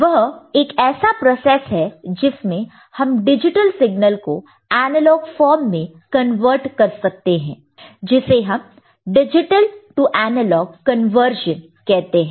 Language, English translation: Hindi, That is a process by which we shall get the digital signal converted to analog form, that is called digital to analog conversion